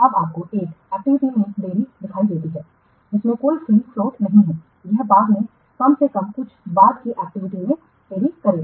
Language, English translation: Hindi, Now, you see, a delay in an activity which has no free float it will delay at least some subsequent activity later on